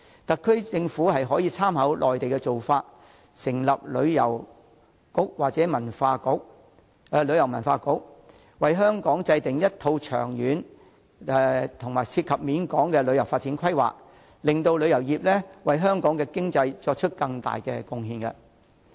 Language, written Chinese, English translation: Cantonese, 特區政府可參考內地的做法，成立旅遊局或旅遊文化局，為香港制訂一套長遠及涉及廣泛層面的旅遊發展規劃，使旅遊業得以為香港經濟作出更多貢獻。, The Special Administrative Region Government may draw reference from the Mainlands practice by establishing a Tourism Bureau or Tourism and Culture Bureau and formulating a long - term and extensive tourism development plan for Hong Kong so as to enable the industry to make greater contribution to Hong Kong economy